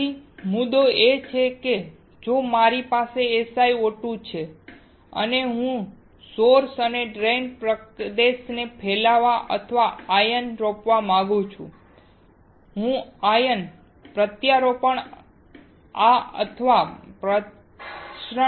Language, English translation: Gujarati, So, the point is that if I have SiO2 and if I want to diffuse or ion implant the source and drain region, then I will do the ion implantation like this or diffusion